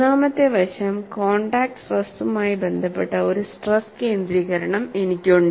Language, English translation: Malayalam, Third aspect is, I have one stress concentration related to contact stress here